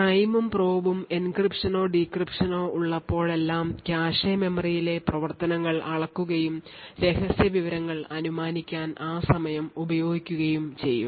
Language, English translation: Malayalam, So, whenever there is an encryption or decryption that takes place the prime and probe would measure the activities on the cache memory and use that timing to infer secret information